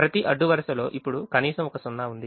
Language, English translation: Telugu, now every row has one zero